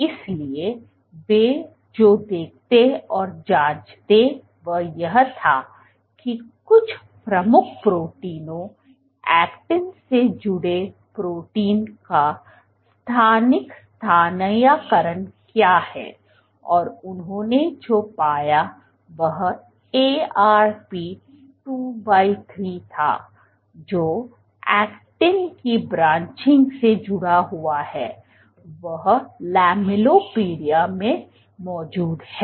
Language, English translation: Hindi, So, what they went on to see was to check that what is the spatial localization of some of the key proteins, actin associated proteins and what they found was Arp 2/3 which is associated with branching of actin it is present in the lamellipodia